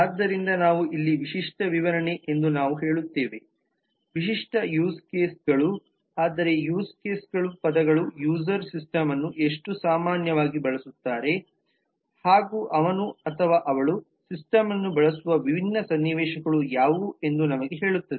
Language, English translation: Kannada, so we say that here the specification is saying these are the typical used cases which mean that use case is a term which tell us that how typically user will actually use this system, what are the different scenario actually through which he or she will use the system